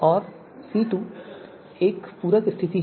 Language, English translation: Hindi, And C2 is a more of a complimentary condition